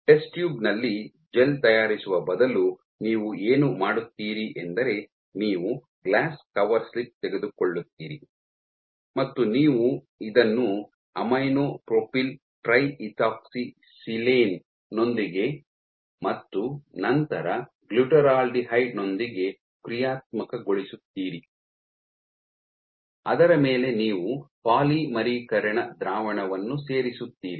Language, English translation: Kannada, So, instead of making the gel in a test tube what you do is you take a glass cover slip you functionalize you treat this with aminopropyltriethoxysilane and then with the glutaraldehyde, on top of which you dump your polymerizing mixture polymerization solution